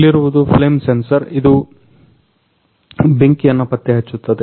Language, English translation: Kannada, Now here is the flame sensor which are detect for the fire